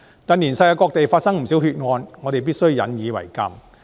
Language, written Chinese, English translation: Cantonese, 近年世界各地發生不少血案，我們必須引以為鑒。, We must learn a lesson from the various incidents involving bloodshed in various places of the world in recent years